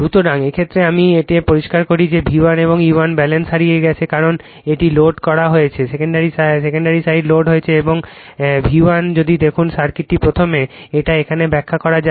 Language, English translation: Bengali, So, in this case let me clear it in this case that V 1 and E 1 balance is lost because it is on it is on your what you call, it is on loaded, secondary side is loaded the and and V 1 if you look into the circuitjust first let me explain here